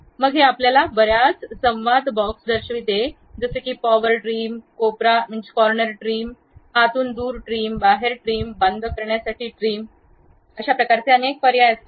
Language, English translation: Marathi, Then it shows you many dialog boxes something like there is power trim, corner trim, trim away inside, trim away outside, trim to close it, this kind of options always be there